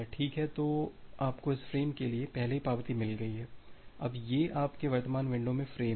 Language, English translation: Hindi, Well so, you have already received acknowledgement for this frames, now these are the frames in your current windows